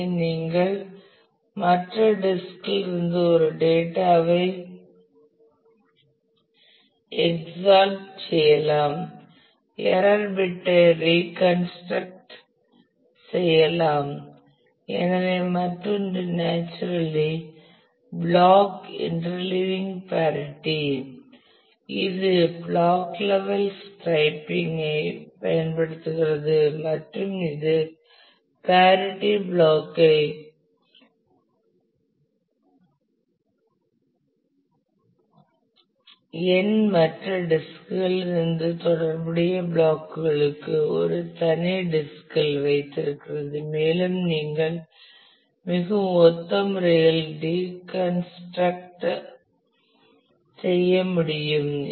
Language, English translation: Tamil, So, the other is naturally block inter leaving of the parity which uses block level striping and keeps a parity block on a separate disk for corresponding blocks from n other disks and you can reconstruct in a very similar manner